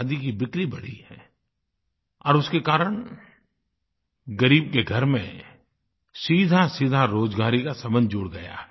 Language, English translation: Hindi, Sale of Khadi has increased and as a result of this, the poor man's household has directly got connected to employment